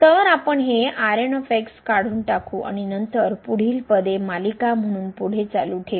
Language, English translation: Marathi, So, we can remove this and then we can continue with the further terms as a series